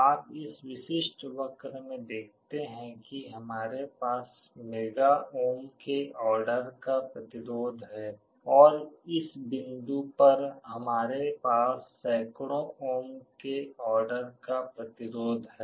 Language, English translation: Hindi, You see in this typical curve here we have a resistance of the order of mega ohms, and on this point we have a resistance of the order of hundreds of ohms